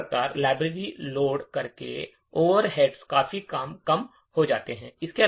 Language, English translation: Hindi, Thus, the overheads by loading the library is reduced considerably